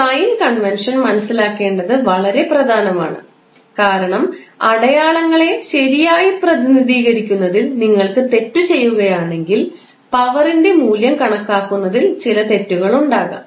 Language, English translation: Malayalam, So, the sign convention is very important to understand because if you make a mistake in representing the signs properly you will do some mistake in calculating the value of power